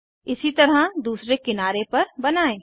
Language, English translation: Hindi, Likewise let us draw on the other edge